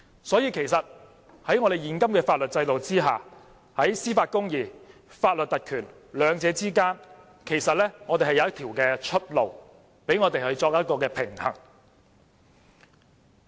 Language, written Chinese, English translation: Cantonese, 所以，其實在現行的法律制度下，在司法公義和法律特權兩者間是有一條出路，讓我們作出平衡。, In fact there is a way out between judicial justice and legal privilege under the existing legal system a way out for us to achieve a balance